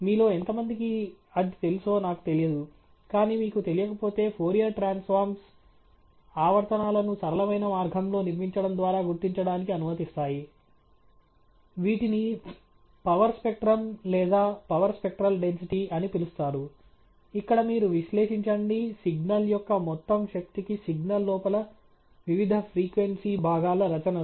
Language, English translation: Telugu, I don’t know how many you are familiar, but if you are not, then Fourier Transforms allow us to detect the periodicity in a simple way by constructing what is known as a power spectrum or a power spectral density, where you analyse the contributions of different frequency components within the signal to the total power of the signal